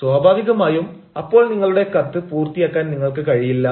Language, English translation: Malayalam, naturally, you will not be able to complete your letter